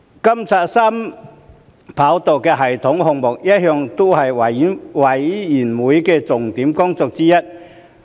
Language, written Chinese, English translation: Cantonese, 監察三跑道系統項目一向是事務委員會的重點工作之一。, Monitoring of the 3RS project had always been high on the agenda of the Panel